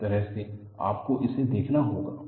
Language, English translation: Hindi, This is the way you have to look at it